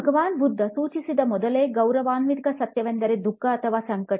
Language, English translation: Kannada, The first noble truth as specified by Lord Buddha was “Dukkha” or suffering